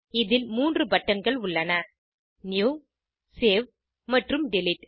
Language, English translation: Tamil, It has three buttons New, Save and Delete